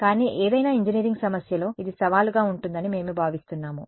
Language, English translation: Telugu, But we expect this to be a challenge in any engineering problem